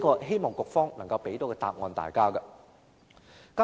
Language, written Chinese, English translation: Cantonese, 希望局方能夠給大家一個答案。, I hope the Bureau can give us answers